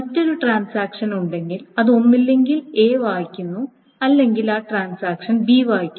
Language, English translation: Malayalam, So if there is another transaction that either reads A or reads B, then that transaction should be oblivious of what is happening in this thing